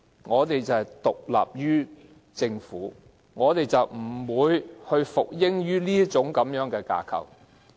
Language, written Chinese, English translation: Cantonese, 我們不但獨立於政府，而且不會服膺於這個架構。, We are not only independent of the Government but we also do not yield to this structure